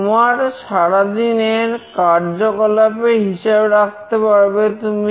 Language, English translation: Bengali, You can keep a track of your activities that you are doing throughout the day